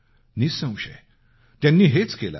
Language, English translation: Marathi, Undoubtedly, she did so